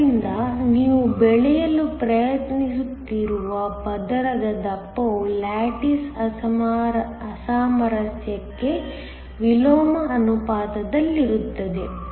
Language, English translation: Kannada, So, the thickness of the layer you are trying to grow is inversely proportional to the lattice mismatch